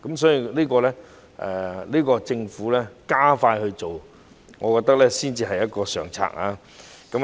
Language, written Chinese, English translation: Cantonese, 所以，我覺得政府加快這方面的工作才是上策。, Therefore I think the best way is for the Government to expedite the progress of such work